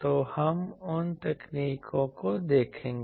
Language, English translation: Hindi, So, those techniques we will see